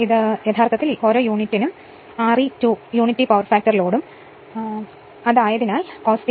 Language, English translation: Malayalam, This is actually is equal to R e 2 per unit right and unity power factor load so, cos phi is equal to 1 right